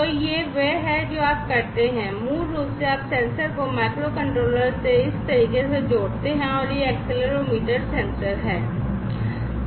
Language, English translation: Hindi, So, this is then what you do is basically you connect the sensor to the microcontroller in this manner; this is the accelerometer sensor